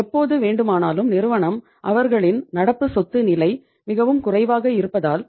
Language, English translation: Tamil, Because anytime the company because their current asset level is very very low